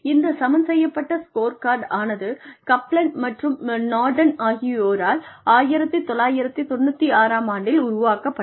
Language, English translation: Tamil, Balanced scorecard was developed by Kaplan and Norton in 1996